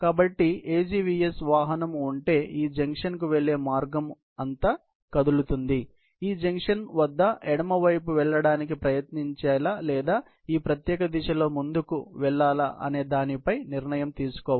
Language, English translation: Telugu, So, if there is an AGVS vehicle, moving all the way to this junction; at this junction, it has to take a decision, whether to tried to take left or would go forward in this particular direction